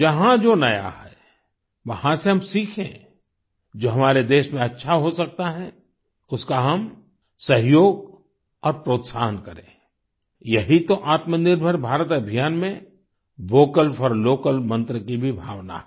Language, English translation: Hindi, Wherever there is anything new, we should learn from there and then support and encourage what can be good for our countryand that is the spirit of the Vocal for Local Mantra in the Atmanirbhar Bharat campaign